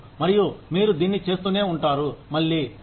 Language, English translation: Telugu, And, you keep doing it, again and again and again